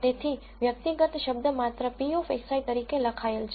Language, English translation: Gujarati, So, the individual term is just written as p of x i